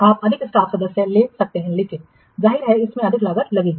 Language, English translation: Hindi, You can take more staff members, but obviously it will take more cost